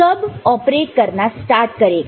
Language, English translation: Hindi, When will it start operating